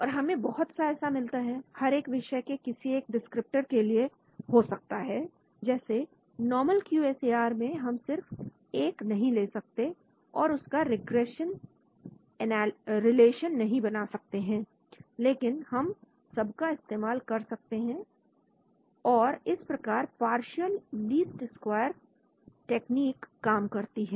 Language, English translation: Hindi, And we will get lots of, each one sort of could be a descriptor of course like a normal QSAR we cannot just take one and then try to get a regression relation but we make use of all of them and that is how partial least square technique works